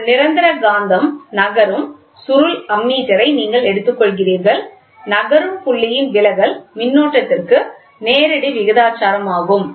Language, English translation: Tamil, In a permanent magnet moving coil ammeter, you are taking an ammeter the deflection of the moving point is directly proportional to the current